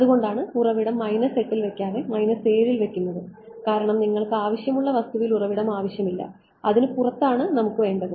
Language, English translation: Malayalam, That is why the source was put at the minus 7 not at minus 8 because you do not want source in the material you wanted just outside ok